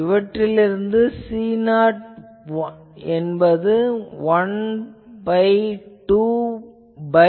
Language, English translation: Tamil, So, this one so I can find C 0 that will be a 1 by 2 pi